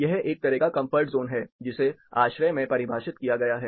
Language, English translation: Hindi, This is a kind of comfort zone, which is defined in ASHRAE